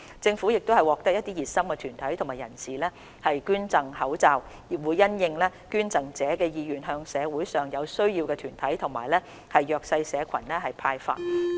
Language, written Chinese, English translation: Cantonese, 政府亦獲得一些熱心團體和人士捐贈口罩，會因應捐贈者的意願向社會上有需要的團體及弱勢社群派發。, The Government has also received donations of masks from some groups and individuals and will distribute the items to needy bodies and disadvantaged groups in society according to the wishes of the donors